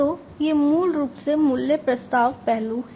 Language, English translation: Hindi, So, these are basically the value proposition aspects